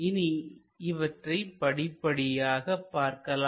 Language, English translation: Tamil, Let us look at them step by step